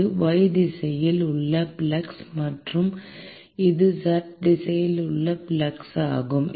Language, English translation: Tamil, This is the flux in y direction and this is the flux in z direction